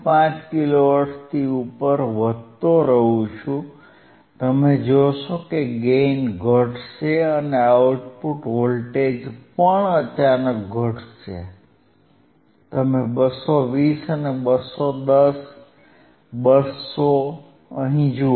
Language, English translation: Gujarati, 5 kilo hertz, you will see the gain will decrease and the output voltage will even decrease suddenly, you see 220 and 210, 200